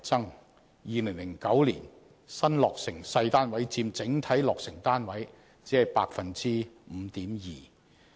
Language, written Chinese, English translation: Cantonese, 在2009年，新落成細單位佔整體落成單位僅 5.2%。, In 2009 small flats only accounted for 5.2 % of the overall housing production